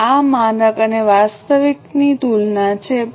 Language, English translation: Gujarati, Now, this is a comparison of standard and actual